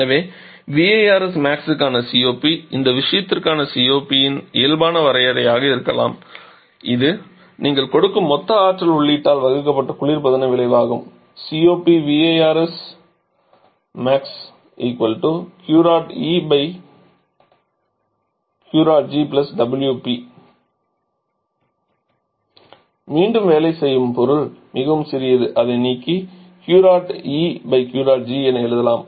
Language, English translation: Tamil, So COP for this VARS Max will be the normal definition of COP for this case is the refrigeration effect divided by total energy input that you are giving which is Q dot G + W dot P